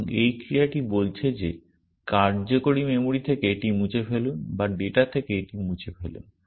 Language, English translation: Bengali, And this action is saying that, remove that from the working memory or remove that from data essentially